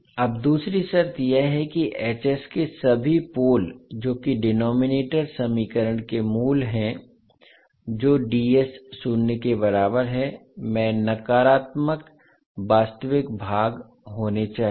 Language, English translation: Hindi, Now the second condition is that all poles of h s that is all roots of the denominator equation that is d s equal to zero must have negative real parts